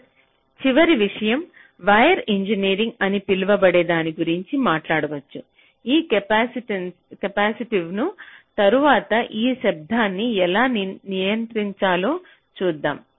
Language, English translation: Telugu, that means you can talk about something called wire engineering, like: how do i control this capacitive affects, then this noise